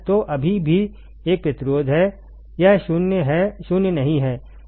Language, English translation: Hindi, So, still there is a resistance, it is not 0 right